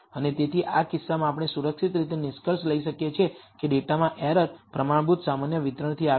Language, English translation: Gujarati, And therefore, in this case we can safely conclude that the errors in the data come from a standard normal distribution